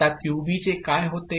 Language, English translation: Marathi, Now, what happens to QB